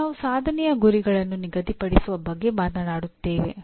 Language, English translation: Kannada, Now we talk about setting the attainment targets